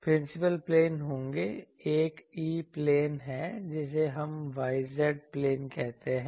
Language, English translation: Hindi, Principal planes will be; so, one is E plane we call where the y z plane